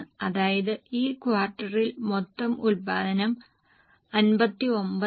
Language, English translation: Malayalam, That means during the quarter the total production is 59